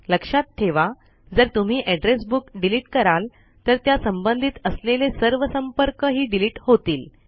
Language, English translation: Marathi, Remember, when you delete an address book all the contacts associated with it are also deleted